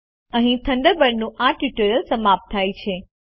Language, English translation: Gujarati, This brings us to the end of this tutorial on Thunderbird